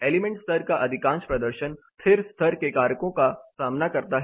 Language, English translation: Hindi, Most of the element level performance deal with the static level factors